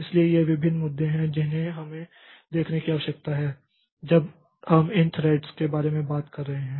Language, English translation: Hindi, So these are various issues that we need to see when we are talking about these threads